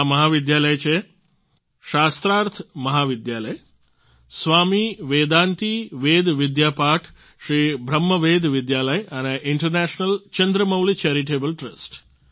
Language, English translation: Gujarati, These colleges are Shastharth College, Swami Vedanti Ved Vidyapeeth, Sri Brahma Veda Vidyalaya and International Chandramouli Charitable Trust